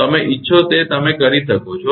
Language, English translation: Gujarati, The way you want you can do it